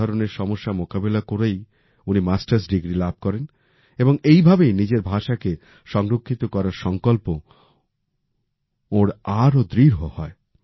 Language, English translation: Bengali, Amidst such challenges, he obtained a Masters degree and it was only then that his resolve to preserve his language became stronger